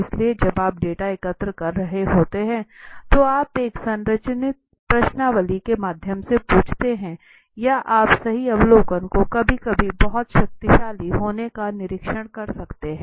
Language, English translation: Hindi, So when you are collecting the data you ask through a structured questionnaire or you can just observe right observation being very powerful sometimes